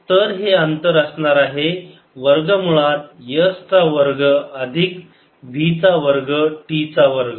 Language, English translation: Marathi, so this distance will be square root, s square plus v square t square